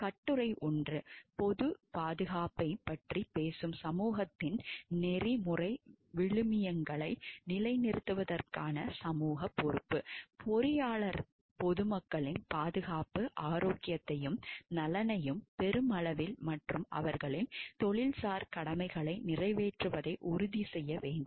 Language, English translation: Tamil, Article 1; social responsibility to uphold ethical values of the society which talks of public safety, engineer should ensure the safety health and welfare of the public in large and performance of their professional duties